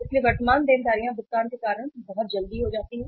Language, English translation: Hindi, So current liabilities become very uh say quickly due to be paid